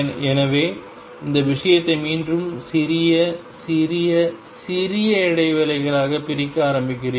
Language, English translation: Tamil, So, you start you again divide this whole thing into small small small intervals